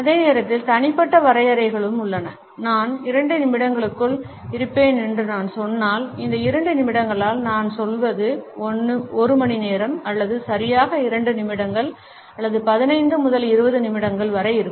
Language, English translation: Tamil, And at the same time there are personal definitions also for example, if I say I would be there within 2 minutes then what exactly I mean by these 2 minutes would it be 1 hour or exactly 2 minutes or maybe somewhere around 15 to 20 minutes